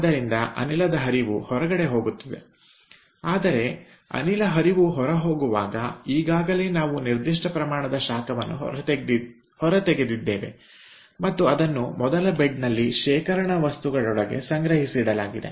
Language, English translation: Kannada, but when the gas stream is going out, already we have extracted certain amount of heat and that is being stored, kept stored within the storage material in the first bed